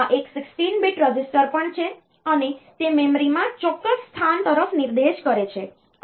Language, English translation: Gujarati, So, this is also a 16 bit register, and it points to a particular position in the memory